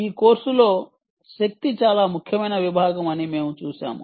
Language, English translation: Telugu, we looked at power power was a very important section in this course